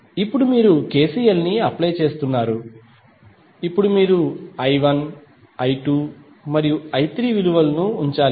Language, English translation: Telugu, Now, you have applied KCL now you have to put the value of I 1, I 2 and I 3